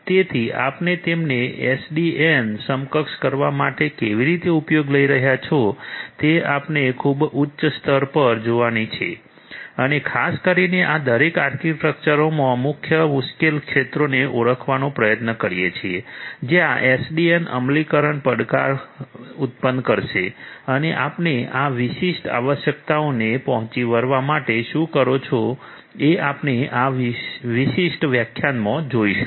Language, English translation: Gujarati, So, how you are going to make them SDN enabled is what we are going to at a very high level look at and particularly try to identify the main difficult areas in each of these architectures where SDN implementation will pose challenge and how you are going to do that to cater to these specific requirements, this is what we are going to look at in this particular lecture